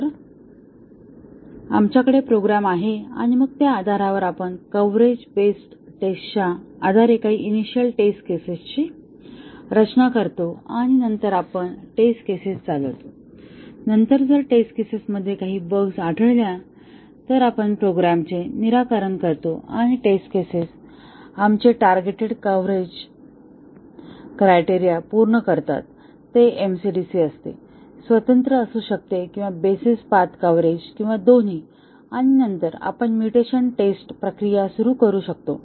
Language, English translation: Marathi, So, we have the program and then, based on that we design some initial test cases based on coverage base testing and then, we run the test cases and then, if the test cases find some bugs, we fix to the program and now the test cases satisfy our targeted coverage criterion may be MCDC, may be independent or basis path coverage or both and then, we start the mutation testing process